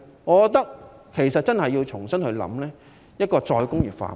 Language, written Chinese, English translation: Cantonese, 我覺得政府真的要重新考慮再工業化。, I believe the Government really should reconsider re - industrialization